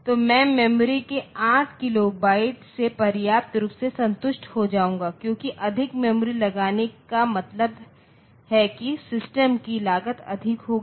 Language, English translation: Hindi, So, I will be sufficiently it a satisfied with 8 kilo byte of memory because putting more memory means the cost of the system will be high